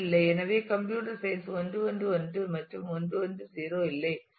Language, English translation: Tamil, So, computer science is 1 1 1 and there is no 1 1 0